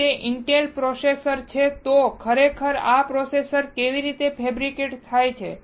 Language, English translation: Gujarati, If it is an Intel processor, this how the processor is actually fabricated